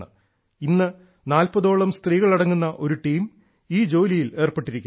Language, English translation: Malayalam, Today a team of about forty women is involved in this work